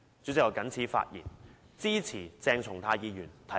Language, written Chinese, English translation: Cantonese, 主席，我謹此陳辭，支持鄭松泰議員提出的議案。, With these remarks President I support Dr CHENG Chung - tais motion